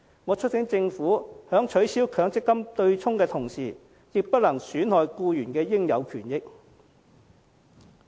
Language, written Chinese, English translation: Cantonese, 我促請政府在取消強積金對沖的同時，亦不能損害僱員的應有權益。, I urge the Government to refrain from undermining employees legitimate rights and benefits while abolishing the MPF offsetting mechanism